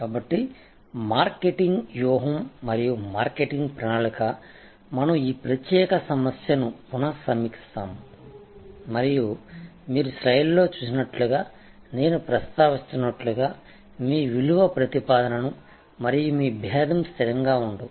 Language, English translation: Telugu, So, marketing strategy and marketing plan we will revisit this particular issue and as I was mentioning as you see on the slide, that your value proposition as well as your differentiation will not be static